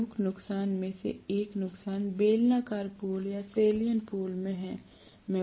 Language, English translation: Hindi, One of the major disadvantages is in cylindrical pole or salient pole